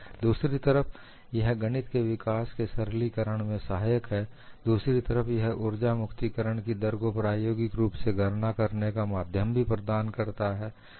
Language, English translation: Hindi, On the one hand, it helps you to simplify the development of mathematics; on the other hand, it also provides the via media to calculate the energy release rate experimental, so it serves both the purposes